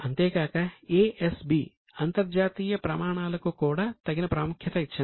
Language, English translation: Telugu, Now, ASB gives due consideration to international standards also